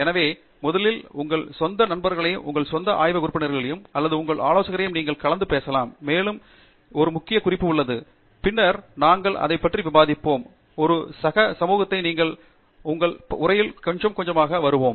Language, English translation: Tamil, So, your own friends first you can talk, your own lab mates or your advisor; and so, there is a one important point, which we will discuss the later on, is also to recognize a peer community, so we will come to that little later in our talk